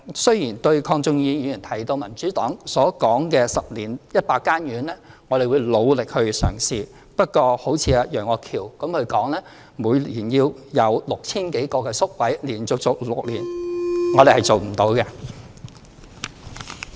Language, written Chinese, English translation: Cantonese, 對於鄺俊宇議員提到，民主黨建議10年興建100間院舍，我們會努力嘗試，不過如果好像楊岳橋議員說，每年要有 6,000 多個宿位，並且連續做6年，我們是做不到的。, In regard to the Democratic Partys suggestion as mentioned by Mr KWONG Chun - yu of building 100 residential care homes in 10 years we will try our best . But in respect of Mr Alvin YEUNGs suggestion of providing over 6 000 places each year for six years in a row this is beyond our ability